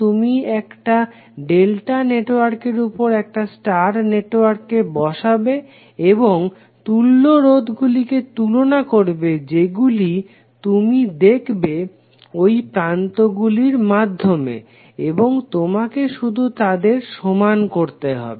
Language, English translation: Bengali, You will put that star into the delta and you will compare the equivalent resistances which you will see through these terminals and you have to just equate them